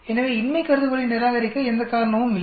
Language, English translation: Tamil, There is no reason to reject the null hypothesis